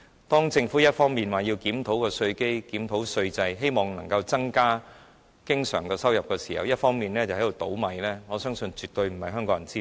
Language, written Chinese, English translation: Cantonese, 當政府一方面說要檢討稅基和稅制，希望能增加經常收入時，另一方面卻在"倒米"，我相信絕非香港人之福。, While the Government stated that it wanted to review the tax base and tax system in the hope of increasing its recurrent revenues on the other hand it is a spendthrift . I believe it will absolutely not be contributing to the well - being of Hong Kong people